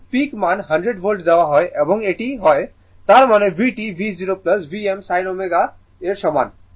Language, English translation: Bengali, Because, peak value is given 100 volts right and it is; that means, V t is equal to V 0 plus V m sin omega t